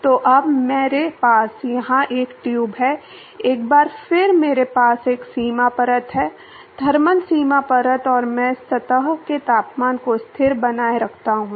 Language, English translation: Hindi, So, now, I have a tube here, once again I have a boundary layer; thermal boundary layer and I maintain the surface temperature as constant